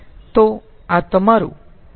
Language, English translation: Gujarati, so this is your q dot in